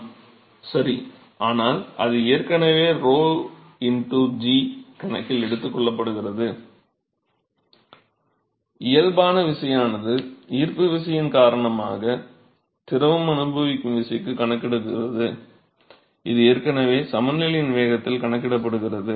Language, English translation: Tamil, Right, but that is already take into account rho into g is already take into account, the body force accounts for the force that the fluid is experiencing because of gravity, that is already accounted for in the momentum of balance